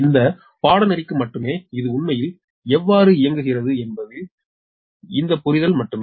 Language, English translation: Tamil, right only for this course is only this understanding that how actually it operates